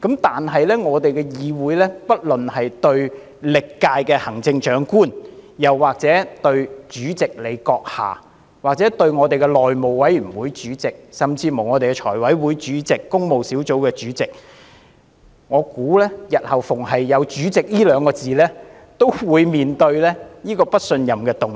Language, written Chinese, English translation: Cantonese, 但是，在我們的議會內，不論是對歷屆行政長官，或立法會主席、內務委員會主席甚至財務委員會、工務小組委員會的主席，我相信只要有"主席"二字，日後均會面對不信任議案。, In our legislature however be it the Chief Executive of various terms or the President of the Legislative Council the Chairman of the House Committee or even the Chairman of the Finance Committee or that of the Public Works Subcommittee I believe as long as someone bears the title of President or Chairman he will face a no - confidence motion in the future